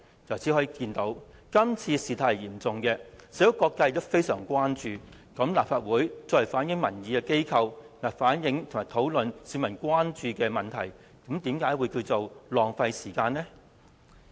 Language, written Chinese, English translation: Cantonese, 由此可見，今次事態嚴重，社會各界也非常關注，那麼立法會作為反映民意的機構，為甚麼反映和討論市民關注的問題，是浪費時間？, All these serve to illustrate the high level of severity of the incident which has aroused concerns from all quarters of society . As such how come it is a waste of time for the Legislative Council a body responsible for reflecting public opinions to reflect and discuss issues of public? . A legislator is a representative of public opinion